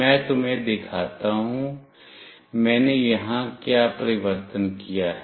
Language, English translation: Hindi, Let me let me show you, what change I have done here